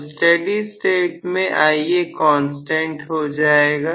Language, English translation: Hindi, So, in steady state you can have Ia as a constant